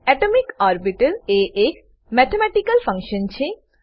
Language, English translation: Gujarati, An atomic orbital is a mathematical function